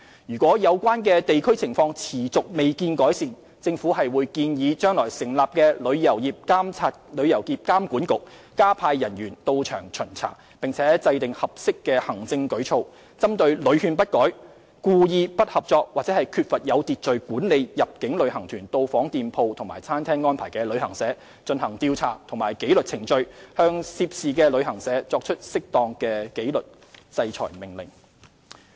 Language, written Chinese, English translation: Cantonese, 如果有關地區情況持續未見改善，政府會建議將來成立的"旅遊業監管局"加派人員到場巡查，並且制訂合適行政舉措，針對屢勸不改、故意不合作或缺乏有秩序地管理入境旅行團到訪店鋪及餐廳的安排的旅行社，進行調查及紀律程序，向涉事旅行社作出適當的紀律制裁命令。, If there remains no improvement to the situation of the relevant districts over time the Government will recommend to the Travel Industry Authority soon to be set up to deploy more manpower to conduct on - site inspections as well as formulating suitable administrative measures against travel agencies that are not amenable to repeated advice and willfully undertake poor management in arranging for inbound tour groups to visit shops and restaurants in a non - cooperative manner . Disciplinary orders can be made after investigation and disciplinary proceedings